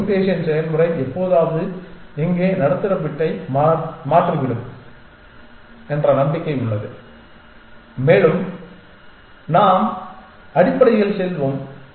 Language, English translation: Tamil, There is hope that this mutation process will sometime toggle the middle bit here and we will get going essentially